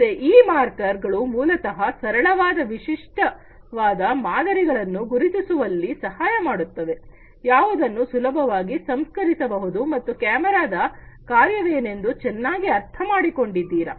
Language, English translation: Kannada, So, these markers basically will help in recognizing simple distinctive patterns, which can be easily processed and the camera is well understood what is the functioning of this camera